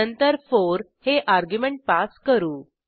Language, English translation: Marathi, Then we pass an argument as 4